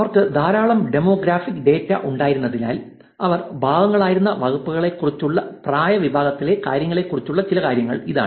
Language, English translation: Malayalam, Again given that they had a lot of demographics data here are some things about age group, things about the departments that they were part of